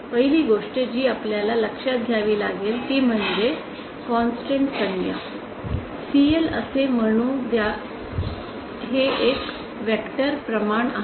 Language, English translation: Marathi, First thing that you have to notice is this term is a constant let us say called CL this is a vector quantity